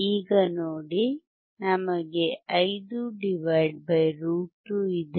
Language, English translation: Kannada, see so now, we have 5 / √ 2